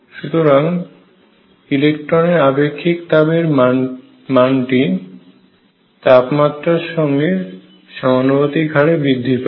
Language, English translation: Bengali, So, this specific heat of the electrons increases linearly with temperature